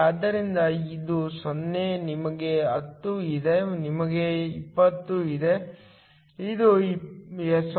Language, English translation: Kannada, So, this is 0, you have 10, you have 20, this is 0